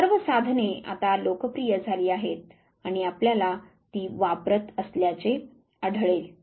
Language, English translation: Marathi, All this tools are now popular and you will find then being used